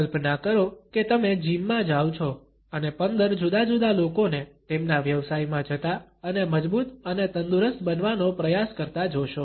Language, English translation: Gujarati, Imagine you walk into a gym and see 15 different people all going about their business and trying to get stronger and healthier